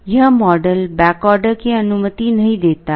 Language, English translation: Hindi, This model does not allow back order